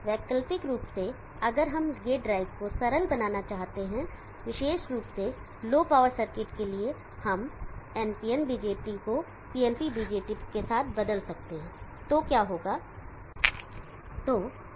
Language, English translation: Hindi, Alternately, if we need to main the gate drive simpler especially for low power circuits we can replace the NPN BJT with the PNP BJT what happens